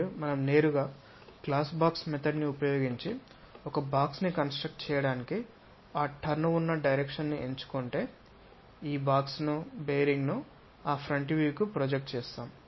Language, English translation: Telugu, And if we are straight away picking that turn kind of direction construct a box using glass box method project this box ah project this bearing onto that front view